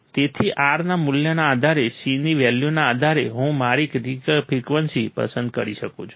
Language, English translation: Gujarati, So, depending on the value of R, depending on the value of C, I can select my critical frequency